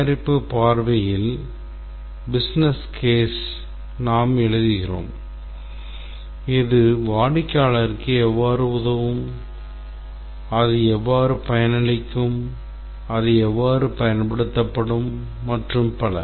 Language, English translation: Tamil, In the product perspective, we write here the business case that is how it will help the customer, how it will benefit, how it will be used and so on